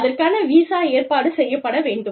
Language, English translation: Tamil, A visa, has to be arranged